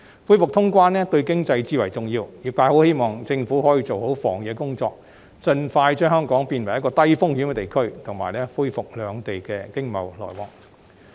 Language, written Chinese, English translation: Cantonese, 恢復通關對經濟至為重要，因此，業界很希望政府可以做好防疫工作，盡快將香港變為低風險地區及恢復與內地的經濟往來。, Resumption of cross - boundary activities is of paramount importance to the economy . Hence the industry hopes so much that the Government can do a good job of epidemic prevention to turn Hong Kong into a low - risk place and resume its economic exchange with the Mainland as soon as possible